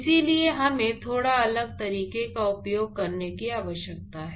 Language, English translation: Hindi, Therefore, we need to use a slightly different method